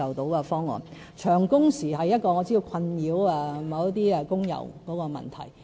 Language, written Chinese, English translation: Cantonese, 我知道長工時是一個困擾一些工友的問題。, I know very well that long working hours are a vexing problem to some employees